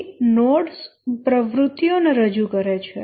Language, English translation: Gujarati, So, each node represents an activity